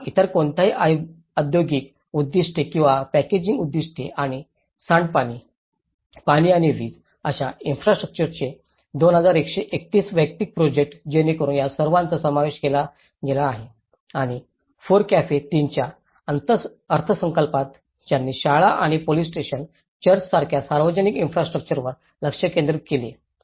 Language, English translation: Marathi, Or any other industrial purposes or packaging purposes and 2,131 individual projects of infrastructures for like sewage, water and electricity so all these have been incorporated and in the FORECAFE 3 budget they talked they focused on the schools and the essential public infrastructure like police stations, churches and using the prefab and modular components